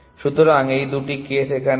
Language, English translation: Bengali, So, these are the two cases